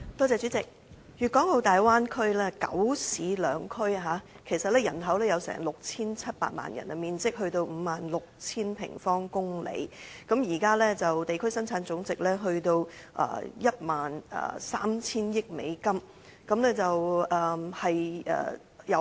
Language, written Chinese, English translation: Cantonese, 主席，粵港澳大灣區包括九市兩區，人口達到 6,700 萬人，面積達到 56,000 平方公里；現時的地區生產總值，達到 13,000 億美元。, President the Guangdong - Hong Kong - Macao Bay Area consists of nine cities and two Special Administrative Regions . It has a population of 67 million and covers an area of 56 000 sq km . At present its regional gross domestic product has reached US1,300 billion